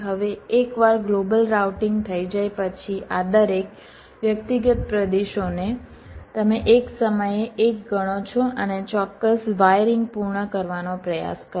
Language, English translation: Gujarati, now, once a global routing is done, then each of this individuals region, you consider one at a time and try to complete the exact wiring